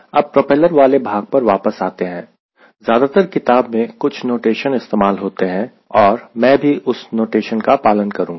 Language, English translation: Hindi, coming back to the propeller part, most of the book will be using some notation and i will be also following those notations